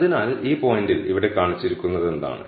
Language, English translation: Malayalam, So, which is what is shown here in this point right here